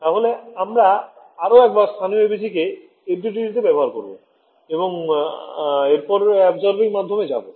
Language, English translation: Bengali, So, we will once again implement this local ABC in FDTD and then we will go to absorbing media